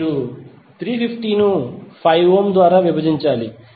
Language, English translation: Telugu, You have to simply divide 350 by 5 ohm